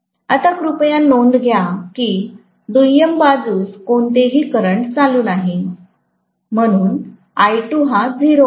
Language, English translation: Marathi, Now, please note that there is no current flowing on the secondary side, so I2 is 0